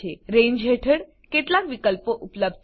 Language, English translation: Gujarati, There are some options available under Range